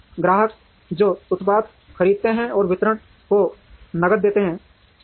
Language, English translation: Hindi, The customers, who buy the product, will give cash to the distribution